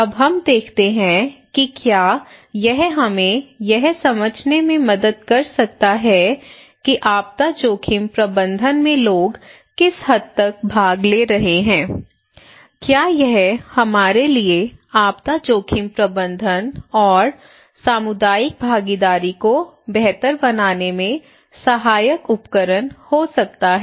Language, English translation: Hindi, I hope this is fine, now let us look that can it really help us to understand what extent how people are participating in disaster risk management, can it be a helpful tool for us to improve disaster risk management and community involvement